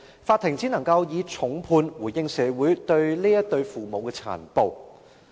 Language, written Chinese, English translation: Cantonese, 法庭只能夠以重判回應社會對這對父母殘暴行為的憤怒。, The Court could only mete out a harsh sentence to respond to the rage society has held against the cruelty committed by such parents